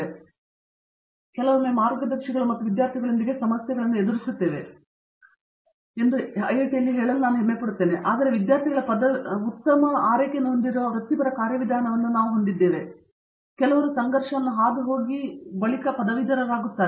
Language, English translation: Kannada, I think, at IIT we take pride in that aspect that often we sometimes have issues with guides and students, but we have a professional mechanism that takes good care of that students graduate, they are very happy when they graduate even after having gone through some issues like this